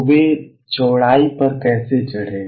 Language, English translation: Hindi, So, how did they climb up width